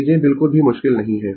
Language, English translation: Hindi, Things are not at all difficult one, right